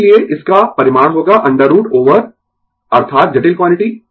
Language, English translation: Hindi, Therefore, its magnitude will be root over that is complex quantity